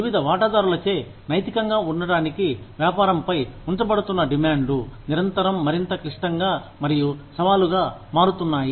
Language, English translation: Telugu, The demands, being placed on business to be ethical, by various stakeholders, are constantly becoming, more complex and challenging